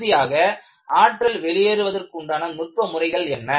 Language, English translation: Tamil, And, finally what are the energy dissipating mechanisms